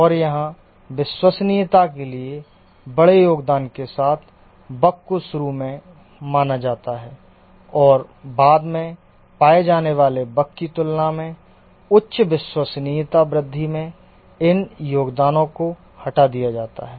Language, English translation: Hindi, And here the bugs with large contributions to the reliability are considered initially, the box that are initially detected and removed, these contribute to higher reliability growth than the bugs that are detected later